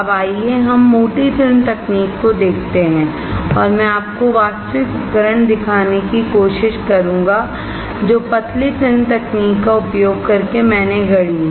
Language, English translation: Hindi, Now, let us see let us see the thick film technology and I will try to show you the actual device using the thin film technology that I have fabricated